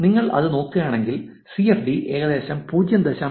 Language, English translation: Malayalam, If you look at that, the CDF is about 0